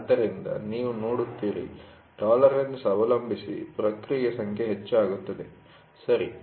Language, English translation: Kannada, So, you see depending upon the tolerance, the number of process increases, right